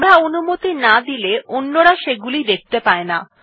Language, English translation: Bengali, Unless we permit, others cannot see them